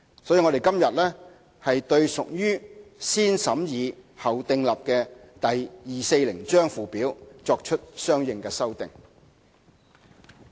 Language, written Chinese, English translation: Cantonese, 所以，我們今天對屬"先審議後訂立"的第240章附表，作出相應修訂。, So today we introduce consequential amendments to the Schedule to Cap . 240 which are subject to positive vetting